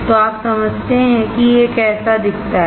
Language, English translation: Hindi, So, that you understand how it looks like